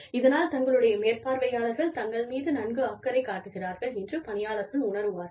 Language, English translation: Tamil, So, the employees feel, that the supervisors, their supervisor are taking, good care of them